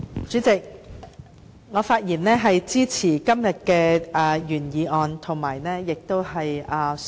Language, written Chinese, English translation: Cantonese, 主席，我發言支持今天的原議案。, President I rise to speak in support of the original motion today